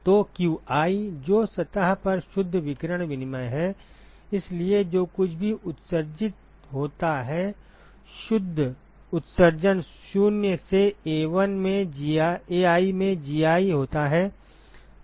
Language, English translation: Hindi, So qi which is the net radiation exchange at the surface, so that is given by, whatever is emitted net emission minus Gi into Ai right